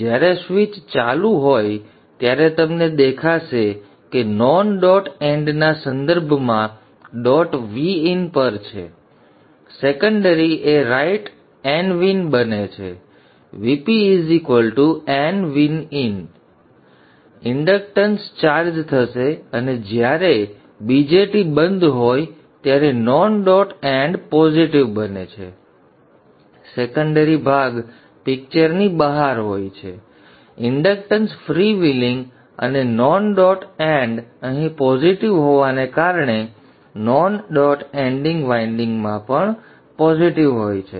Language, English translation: Gujarati, When the switch is on, you will see dot is at VIN with respect to the non dot end secondary side becomes N V in VP will be N V in inductance will charge and during the period when the BJT is off the non dot end becomes positive the secondary portion is out of the picture inductance is freewheeling and because the non dot end is positive here also in the demaritizing winding the non dot end will be positive and it will pump the magnetic energy in this path so you will see that the magnetic energy will be put into the source